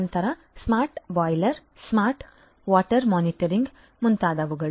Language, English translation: Kannada, Then smart boilers, smart water monitoring and so on